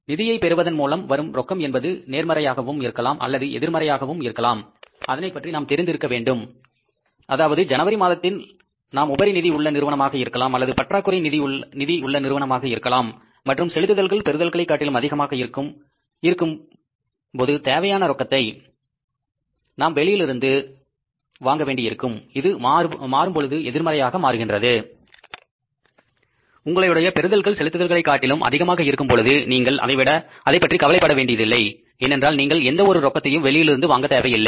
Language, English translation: Tamil, The cash from financing can be either positive or negative means because we have to know it that are we going to be a surplus cash surplus company in the month of January or cash deficit company and then the payments are going to be more than their seats certainly we need to borrow cash but it can be by several so your seats are going to be more than the payments you are going to make so you need not to worry about the cash you have not to borrow anything in terms of the cash